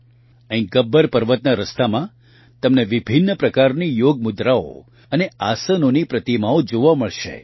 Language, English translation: Gujarati, Here on the way to Gabbar Parvat, you will be able to see sculptures of various Yoga postures and Asanas